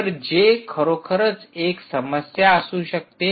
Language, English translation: Marathi, so this is the problem